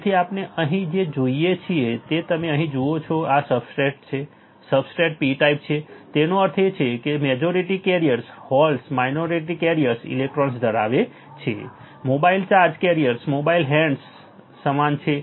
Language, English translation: Gujarati, So, what we see here is you see here this is the substrate, the substrate is P type right; that means, the majority carriers are holds right minority carriers are electrons, mobile charge carriers equals to in mobile hands